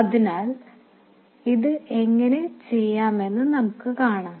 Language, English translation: Malayalam, So we will see how to do that